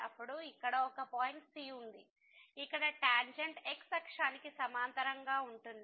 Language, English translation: Telugu, Then, there exist a point here where the tangent is parallel to the axis